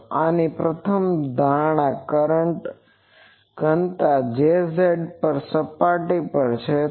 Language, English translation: Gujarati, So, the first assumption of this is the current density J z is on surface